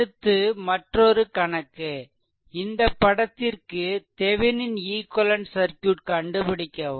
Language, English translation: Tamil, So, next another one is determine Thevenin equivalent circuit of this figure